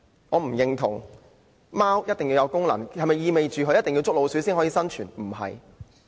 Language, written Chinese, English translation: Cantonese, 我不認同貓一定要有功用，並非必須能夠捉老鼠才能生存。, I do not agree that cats must be put to some use; it is not necessary for them to be able to catch mice for survival